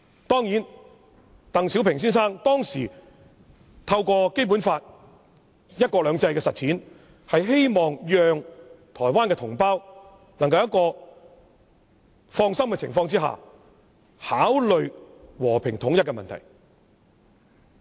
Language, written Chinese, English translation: Cantonese, 當然，鄧小平先生當時透過《基本法》"一國兩制"的實踐，是希望讓台灣同胞能夠在放心的情況下，考慮和平統一的問題。, Of course back at that time Mr DENG Xiaoping hoped that through the implementation of one country two systems under the Basic Law Taiwan compatriots could set their minds at ease and consider the issue of peaceful reunification